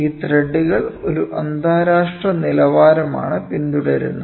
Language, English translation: Malayalam, So, these threads follow an international standard, ok